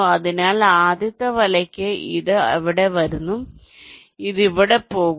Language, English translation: Malayalam, so for the first net, it is coming from here, it is going here